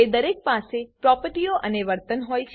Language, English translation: Gujarati, Each of them has properties and behavior